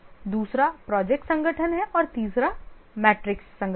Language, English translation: Hindi, The second is the project organization and the third is the matrix organization